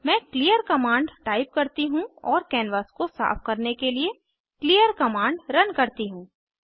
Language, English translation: Hindi, Let me type clear command and run clear command cleans the canvas